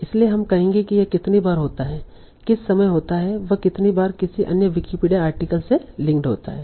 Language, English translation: Hindi, So we will say how many times it occurs and among whatever time it occurs, how many times it is linked to another Wikipedia article